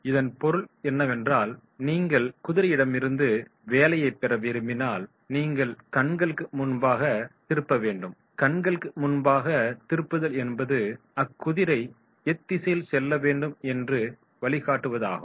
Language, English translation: Tamil, It means that is if you want to get the work from the horse you have to put the flip before the eyes and flip before the eyes means that is the direction, you give the direction